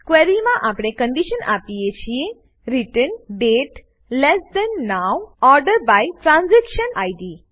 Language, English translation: Gujarati, In the query we give the condition, return date less than now() order by transaction Id